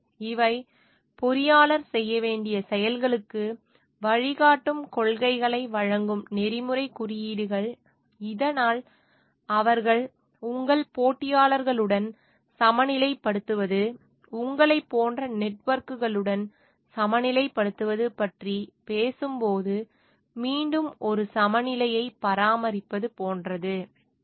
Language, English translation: Tamil, So, these are the codes of ethics, which gives the guiding principles for the actions engineer should be doing, so that they are like maintaining a again a balance in the when they are talking of balancing with your competitors, balancing with your like networks that you have in terms of the your suppliers and your clients